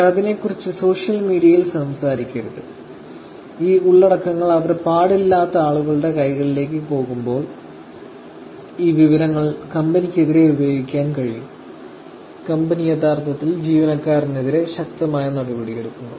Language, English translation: Malayalam, They should not be talking about on social media and when these contents goes in hands of people whom they should not be looking and this information can actually be used against the company, the company actually takes very a strong thing around thing against the employee itself